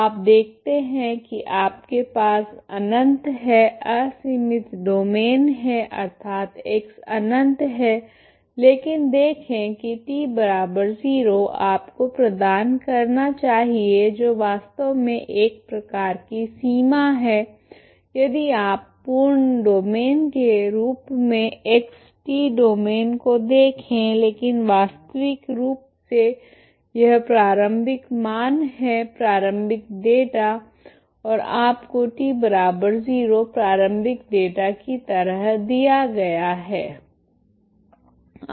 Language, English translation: Hindi, You see that you have infinite is unbounded domain that is X is it infinity but see that the T equal to zero you should provide that is actually kind of boundary if you see as a full domain as the X T domain, but physically this is initial values, initial data and you giving a T equal to zero that is initial data ok